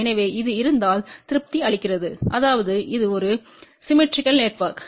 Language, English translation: Tamil, So, if this property is satisfied that means, it is a symmetrical network